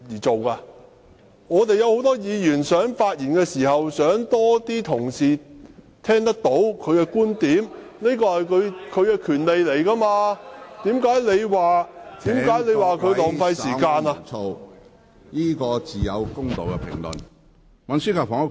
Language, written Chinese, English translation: Cantonese, 很多議員希望發言時有更多同事聽到他的觀點，他亦有權要求點算法定人數，你怎能說這是浪費時間？, A number of Members hope that more Honourable colleagues will be able to listen to their arguments when they speak and they also have the right to request headcounts . How can you brand it a waste of time?